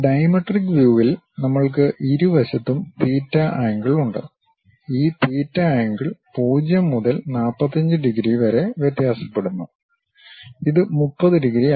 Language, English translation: Malayalam, In the dimetric view we have theta angle on both sides and this theta angle varies in between 0 to 45 degrees and this is not 30 degrees